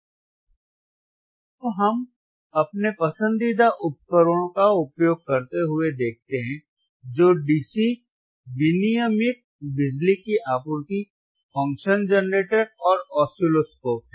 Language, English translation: Hindi, Now, let us see using our favourite equipment, that is the DC regulated power supply in a regulated power supply, function generator and the oscilloscope